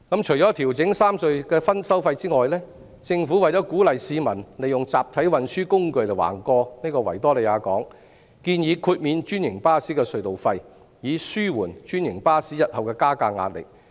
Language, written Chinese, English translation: Cantonese, 除了調整三隧的收費外，政府為鼓勵市民利用集體運輸工具橫過維多利亞港，建議豁免專營巴士的隧道費，以紓緩專營巴士日後的加價壓力。, Apart from adjusting the tolls of the three tunnels in order to encourage the public to make use of mass transit carriers to cross the Victoria Harbour the Government suggests waiving the tunnel tolls for franchised buses so as to alleviate the fare increase pressure of franchised buses in future